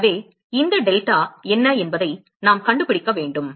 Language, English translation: Tamil, So, we need to find out what is this delta